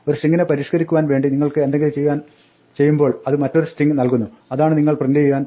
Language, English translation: Malayalam, So, anything you can do to modify a string will give you another string that is what you are going to print